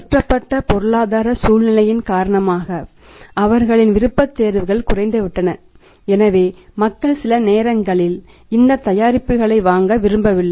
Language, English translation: Tamil, Because of that changed economic scenario their preferences has gone down so people do not want to sometimes do not want to buy this products